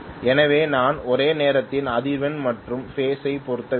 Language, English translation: Tamil, So I have to match the frequency as well as phase simultaneously